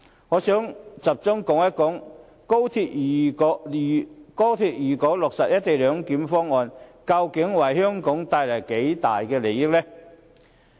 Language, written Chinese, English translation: Cantonese, 我想集中談談，如果高鐵落實"一地兩檢"方案，究竟可為香港帶來多大利益呢？, I wish to focus on the benefits to Hong Kong if the co - location arrangement is implemented